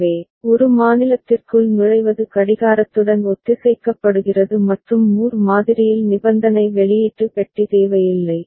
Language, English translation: Tamil, So, entry into a state is synchronized with the clock and in Moore model conditional output box is not necessary